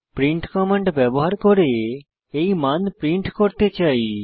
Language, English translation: Bengali, Next I want to print the value using print command